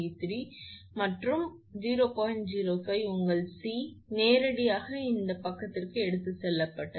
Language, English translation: Tamil, 05 your C or your omega V 3 that this actually directly taken to this side